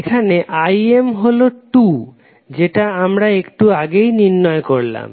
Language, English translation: Bengali, Here Im is nothing but 2 which we just calculated